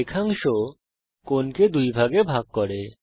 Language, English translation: Bengali, The line segments bisects the angle